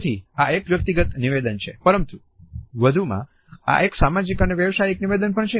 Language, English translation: Gujarati, So, it is a personal statement, but more so, it is also a social and professional statement